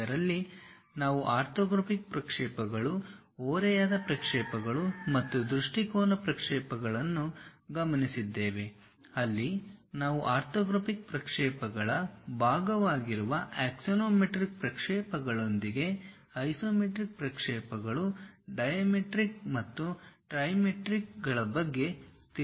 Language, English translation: Kannada, In that we noted down orthographic projections, oblique projections and perspective projections where we in detail went with axonometric projections which are part of orthographic projections; in that try to learn about isometric projections, dimetric and trimetric